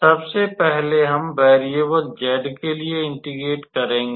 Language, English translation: Hindi, So, first we will start with integrating with respect to variable z